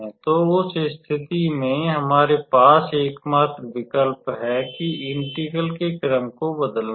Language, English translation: Hindi, So, then in that case, we have to the only option have is to change the order of the integration